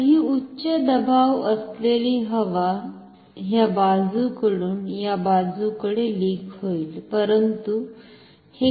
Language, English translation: Marathi, So, this high pressure air can leak from this side to this side, but it will take some time